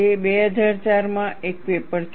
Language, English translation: Gujarati, It is a paper in 2004